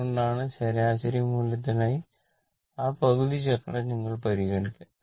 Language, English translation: Malayalam, That is why, we will consider that half cycle for average value right